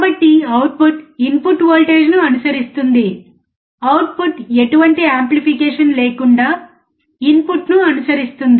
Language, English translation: Telugu, So, output will follow the input voltage follower, output will follow the input without any amplification